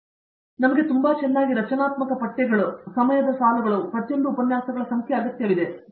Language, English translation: Kannada, So, we have very, very well structured syllabi, very well structured time lines, number of lectures for each and so on